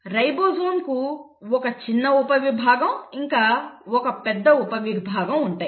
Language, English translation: Telugu, Ribosome has a small subunit and a large subunit